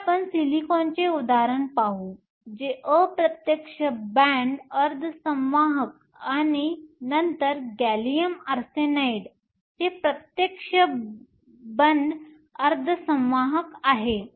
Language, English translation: Marathi, So, let us look at an example of silicon which is an indirect band semiconductor, and then gallium arsenide which is the direct band semiconductor